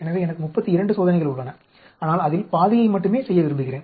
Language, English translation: Tamil, So, I have 32 experiments, but I want do only half of that